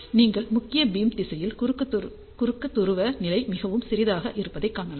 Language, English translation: Tamil, And you can see that along the main beam direction, cross polar level is very very small